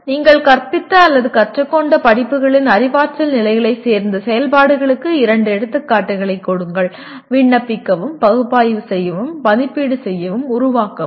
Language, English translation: Tamil, Give two examples of activities from the courses you taught or learnt that belong to the cognitive levels; Apply, Analyze, Evaluate, and Create